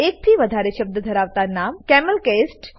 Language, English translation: Gujarati, Names that contain more than one word should be camelcased